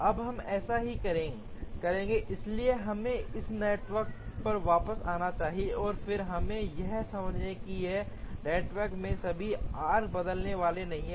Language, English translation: Hindi, Now we will do that right now, so let us come back to this network, and then we understand that in this network all these arcs not going to change